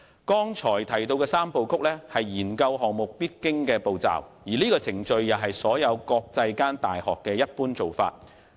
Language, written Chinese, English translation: Cantonese, 剛才提到的三步曲，是研究項目的必經步驟；這個程序也是國際間大學的一般做法。, The three - step process mentioned just now represents the steps a research project must go through . The procedure is also the usual practice of universities in the international community